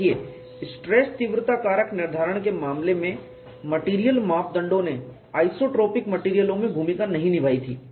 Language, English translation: Hindi, See in the case of stress intensity factor determination, material parameters did not play a role in isotropic materials